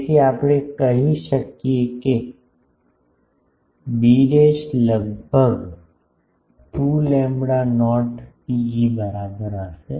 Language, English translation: Gujarati, So, we can say that b dashed will be almost equal to 2 lambda not rho e